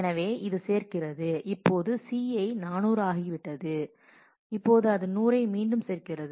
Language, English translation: Tamil, So, it adds now this C had become 400, now it is adding 100 back